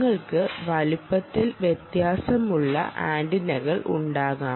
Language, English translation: Malayalam, so you can have antennas of vary in sizes, antenna of different sizes